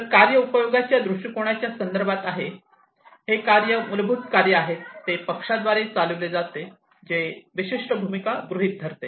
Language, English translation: Marathi, So, the task is in the context of usage viewpoint, the task is a basic unit of work, that is carried out by a party, that assumes a specific role